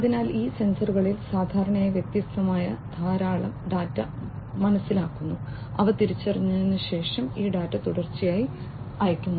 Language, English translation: Malayalam, So, these sensors typically sense lot of different data and this data are sent continuously after they are being sensed